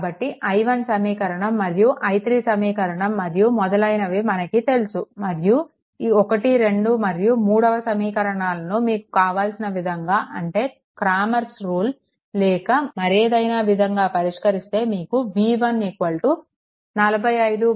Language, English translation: Telugu, So, you know i 1, you know, i 3 in the all those things, you get another equations and then you solve equation 1, 2 and 3 the way you want Cramer's rule or anything, the way you want to solve it and you will get v 1 is equal to 45